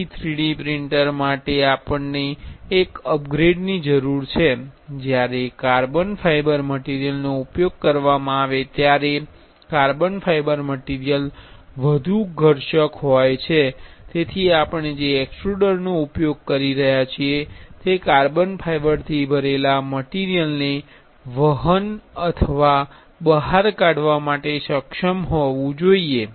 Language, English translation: Gujarati, So, one the one upgrade we need for the 3D printer is while using carbon fiber material, carbon fiber material is high abbressive, so the extruder we are using should be capable of carrying or extruding the carbon fiber filled material